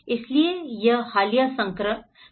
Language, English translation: Hindi, So, this is a very recent edition